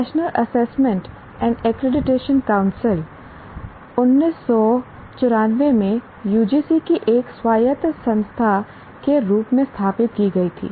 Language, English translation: Hindi, Now NAC, if you look at National Assessment and Accreditation Council, was established in 1994 as an autonomous institution of UGC